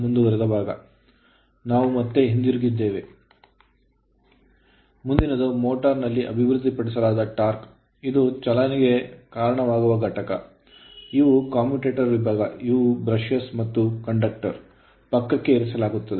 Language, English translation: Kannada, Next is torque developed in a motor; so this is also that you are what you call this motion is given, this commutator segment, these are brushes and these are the conductor placed side